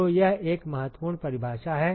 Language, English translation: Hindi, So, that is an important definition